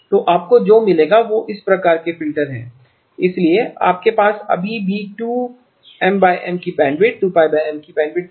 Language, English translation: Hindi, So what you will get is filters of this type so you still have the bandwidth of 2 Pi over M